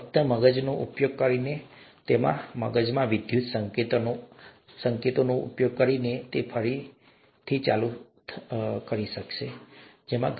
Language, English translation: Gujarati, Just by using the brain, just by using the electrical signals in the brain, whether they’ll be able to walk again